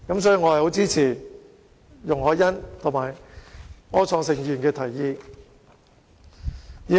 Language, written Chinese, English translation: Cantonese, 所以，我很支持容海恩議員及柯創盛議員的提議。, Hence I support the proposals put forward by Ms YUNG Hoi - yan and Mr Wilson OR